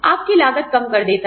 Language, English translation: Hindi, Reduces your costs